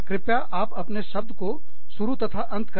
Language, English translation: Hindi, Please, start and end your words